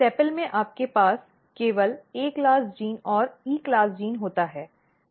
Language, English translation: Hindi, So, if you look sepal in sepal you have only A class gene and E class gene